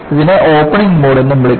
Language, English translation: Malayalam, This is also called as Opening Mode